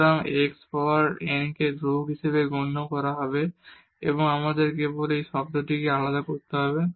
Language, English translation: Bengali, So, x power n will be treated as constant and we have to just differentiate this term